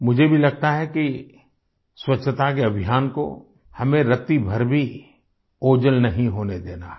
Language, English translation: Hindi, I also feel that we should not let the cleanliness campaign diminish even at the slightest